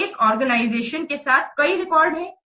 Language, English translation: Hindi, So within organization, there are many records